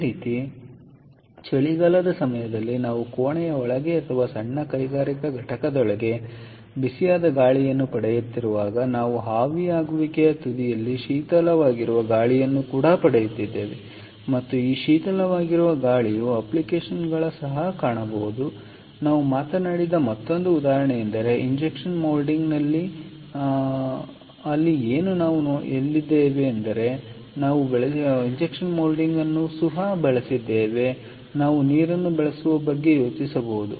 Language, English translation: Kannada, similarly, during winter, while we were getting heated air inside the room or inside the small industrial unit, we are also getting chilled air, ah, at the evaporator end, and this chilled air can also find applications, ok, another example that we talked about was that of injection molding